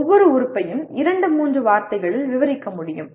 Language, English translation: Tamil, It could be just each element can be described in two, three words